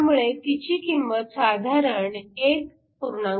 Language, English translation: Marathi, So, it has a value of around 1